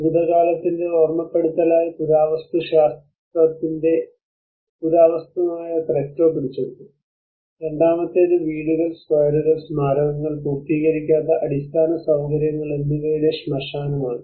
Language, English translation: Malayalam, The Cretto is captured which is archaeology of archaeology as a reminder of the past; and the second is a cemetery of houses, squares, monuments, and unfinished infrastructure